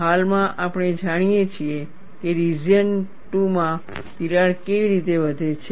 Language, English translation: Gujarati, Currently, we know how the crack grows in the region 2